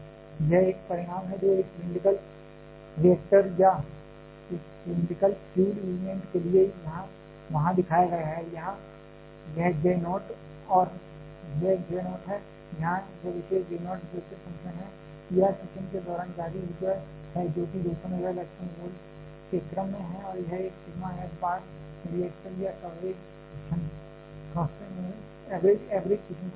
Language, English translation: Hindi, This is the one result that was shown there for a cylindrical reactor or a cylindrical fuel element, here this J naught is the a here this particular J naught is the Bessel function, E R is the energy released during fission that 200 MeV in the order of and this one the sigma f bar is the average fission cross section of the reactor